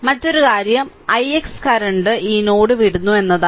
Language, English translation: Malayalam, And another another thing is that i x current leaving this node